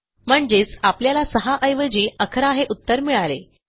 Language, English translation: Marathi, So, that means, instead of 6 we will get 11